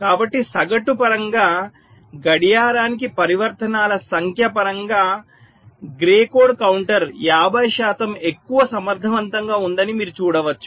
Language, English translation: Telugu, so in terms of the average you can see that grey code counter is fifty percent more more efficient in terms of number of transitions per clock